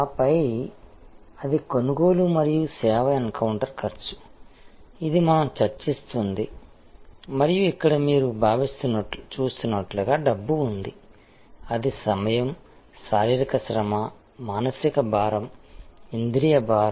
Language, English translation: Telugu, And then, that is a purchase and service encounter cost, this is what we have been discussing and here as you see there is money; that is time, physical effort, psychological burden, sensory burden